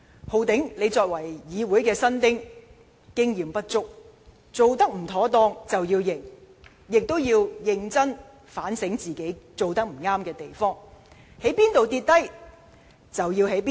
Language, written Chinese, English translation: Cantonese, "浩鼎"，你作為議員新丁，經驗不足，有做得不妥當之處便要承認，也要認真反省自己有甚麼地方做得不對。, Holden you are inexperienced as a newbie in Council . That is why you should admit and seriously reflect on your shortcomings